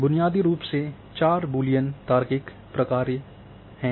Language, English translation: Hindi, There are some off suits of the basic four Boolean logical function